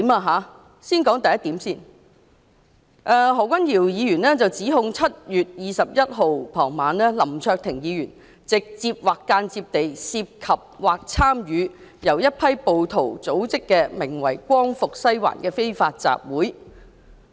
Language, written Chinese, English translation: Cantonese, 何君堯議員指 "2019 年7月21日傍晚，林卓廷議員直接或間接地涉及或參與由一批暴徒組織的名為'光復西環'的非法集會"。, Dr Junius HO stated that In the evening of 21 July 2019 Mr LAM Cheuk - ting directly or indirectly involved or participated in an unlawful assembly known as Liberate Sai Wan organized by mob